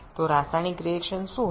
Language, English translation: Bengali, So, we have to consider the chemical reaction also